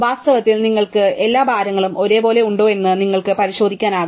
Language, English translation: Malayalam, In fact, you can check if you have all weights the same for example